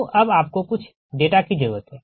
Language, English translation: Hindi, you need some data